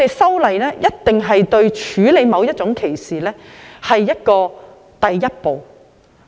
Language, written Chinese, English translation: Cantonese, 修例只是處理某種歧視的第一步。, Legislative amendment is only the first step to deal with a certain kind of discrimination